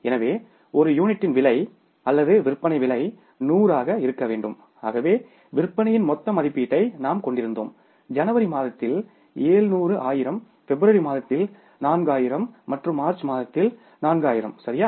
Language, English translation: Tamil, So we had the total estimation of the sales to the tune of 700,000s in the month of January, 400,000s in the month of February and 400,000s in the month of March